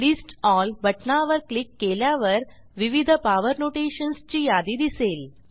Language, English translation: Marathi, Click on List All button and you will see a list of various power notations